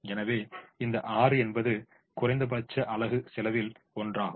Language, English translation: Tamil, so this six becomes the one with the minimum unit cost